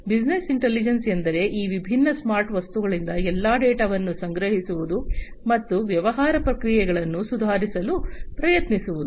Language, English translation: Kannada, Business intelligence means like you know collecting all the data from these different smart objects, and trying to improve upon the business processes